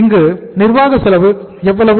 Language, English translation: Tamil, So what is the administrative cost here